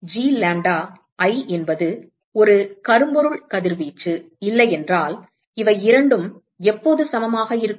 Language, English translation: Tamil, So, if G lambda,i is not a blackbody radiation, when are these two equal